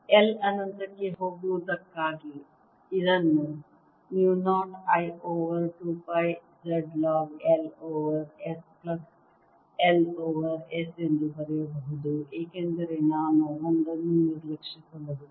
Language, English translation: Kannada, this can be written as mu zero i over two pi z log of l over s plus l over s again, because i can ignore that one